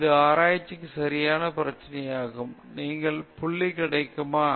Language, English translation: Tamil, ; that is the right problem for research; are you getting the point